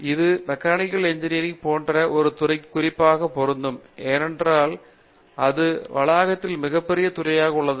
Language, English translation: Tamil, Now, this is particularly true of a Department like Mechanical Engineering because, it is a probably the biggest department on campus